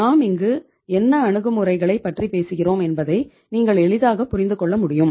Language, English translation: Tamil, You can easily understand what approaches we are talking about here